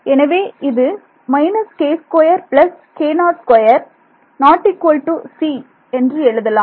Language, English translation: Tamil, So, over here what can I write